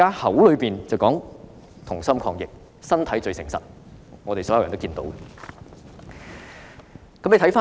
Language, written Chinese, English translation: Cantonese, 口說"同心抗疫"，但身體最誠實，我們所有人也看得到。, They say let us fight the virus together but mean another . This is what all of us can see